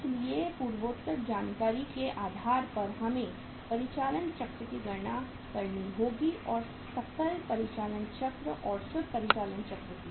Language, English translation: Hindi, So on the basis of the aforesaid information we will have to calculate the operating cycle and the net there is a gross operating cycle and the net operating cycle